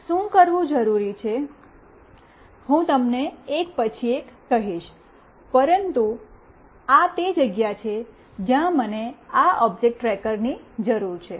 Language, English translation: Gujarati, What is required to be done, I will tell you one by one, but this is where I need this object tracker